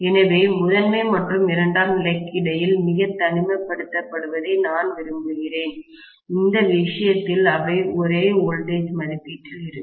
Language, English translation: Tamil, So, I want isolation very clearly between the primary and secondary, in which case they will be of the same voltage rating